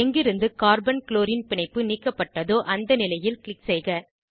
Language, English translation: Tamil, Click at the position from where Carbon chlorine bond was deleted